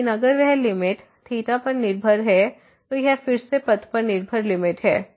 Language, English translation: Hindi, But if that limit is depending on theta, then again it is a path dependent limit